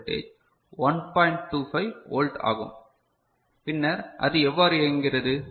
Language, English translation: Tamil, 25 volt, then how it works